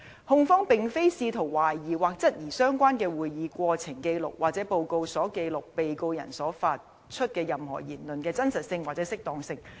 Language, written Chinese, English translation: Cantonese, 控方並非試圖懷疑或質疑相關的會議過程紀錄或報告所記錄被告人發出的任何言論的真實性或適當性。, The Prosecution is not seeking to question or challenge the veracity or propriety of anything said by the Defendant as recorded in the relevant records of proceedings or reports